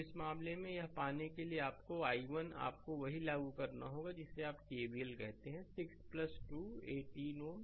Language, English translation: Hindi, So, in this case to get that your i 1 you have to apply what you call that KVL so, 6 plus 12 18 ohm right